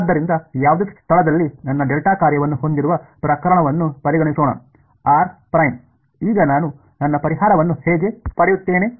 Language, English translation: Kannada, So, let us consider the case where I have my delta function at any location r prime, how will I get back my solution now